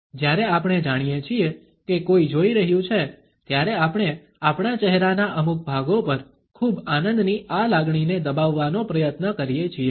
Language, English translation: Gujarati, When we know that somebody is watching, we try to wrap up this emotion of too much of an enjoyment on certain portions of our face